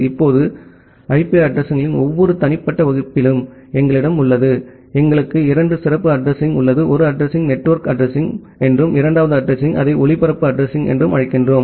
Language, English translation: Tamil, Now, we have in every individual class of IP addresses, we have two special address; one address we call as the network address, and the second address we call it as a broadcast address